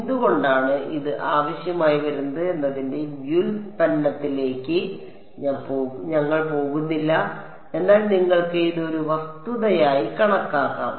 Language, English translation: Malayalam, We are not going into the derivation of why this is required, but you can just take it as a statement of fact